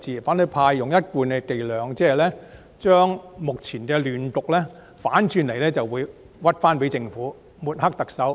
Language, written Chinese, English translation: Cantonese, 反對派用一貫的伎倆，反過來將目前的亂局歸咎於政府，更誣衊政府、抹黑特首。, The opposition camp has resorted to its usual tactics and conversely put the blame of the present chaos on the Government even slandering the Government and smearing the Chief Executive